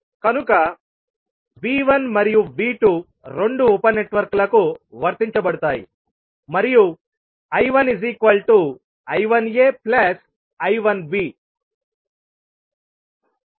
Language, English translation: Telugu, So that means that V 1 and V 2 is applied to both of the sub networks and I 1 is nothing but I 1a plus I 1b